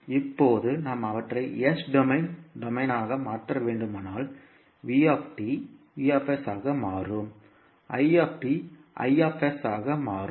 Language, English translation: Tamil, Now, if we have to convert them into s domain vt will become vs, it will become i s